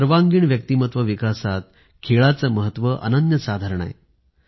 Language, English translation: Marathi, There is a great significance of sports in overall personality development